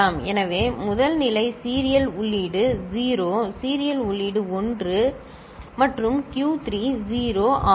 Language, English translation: Tamil, So, the first case serial in is 0 serial in is 1 and Q 3 is 0